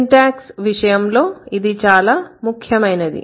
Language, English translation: Telugu, And what is the meaning of syntax